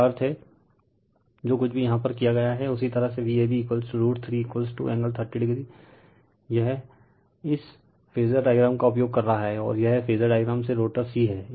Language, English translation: Hindi, So, that means, whatever you did here that your V a b, V a b is equal to root 3 V p angle 30 degree, this is using this phasor relationship and this is from the phasor diagram is rotor c right